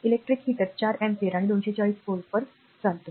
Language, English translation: Marathi, An electric heater draws 4 ampere and at 240 volt